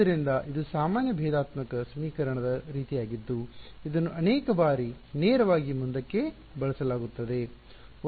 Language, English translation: Kannada, So, this is the sort of a general differential equation which is used many times fairly straight forward